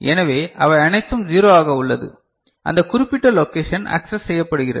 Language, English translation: Tamil, So, all of them are 0 that particular location is accessed